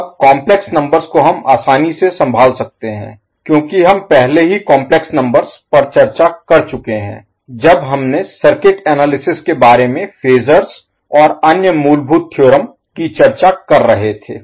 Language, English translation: Hindi, Now the complex numbers we can easily handle because we have already discussed how to deal with the complex numbers when we were discussing about the phasors and the other fundamental theorems of the circuit analysis